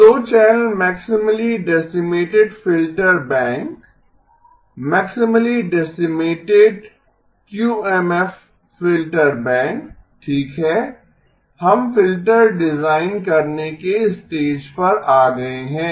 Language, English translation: Hindi, So the 2 channel maximally decimated filter bank, maximally decimated QMF filter bank okay, we have come to the stage of designing the filters